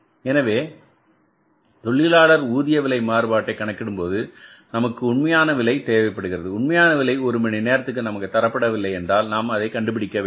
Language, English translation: Tamil, So, while calculating the labor rate of pay variance you will be requiring this actual rate and actual rate if it is not given to us, actual rate per hour if it is not given to us